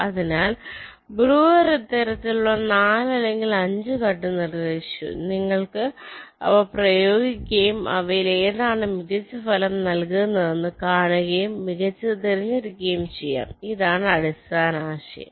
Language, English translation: Malayalam, so breuer proposed four or five such sequence of cuts and you can apply them and see which of them is giving the better result and select that better one